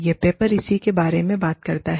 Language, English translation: Hindi, This is what, this paper talks about